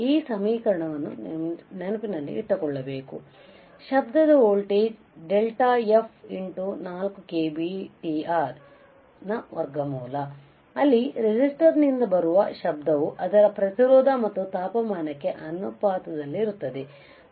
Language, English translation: Kannada, So, noise voltage is equal to under root of 4 k B T R into delta F, where the noise from a resistor is proportional to its resistance and the temperature